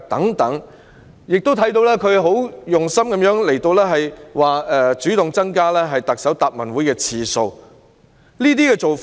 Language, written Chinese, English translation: Cantonese, 我們亦看到她很有心，主動增加立法會特首答問會的次數。, We also saw that she proactively increased the frequency of the Chief Executives Question and Answer Session in the Legislative Council with good intentions